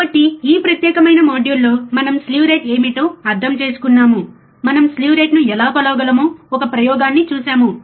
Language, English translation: Telugu, So, for this particular module, we will we will we understood of what what exactly slew rate is we have seen an experiment how we can measure the slew rate ok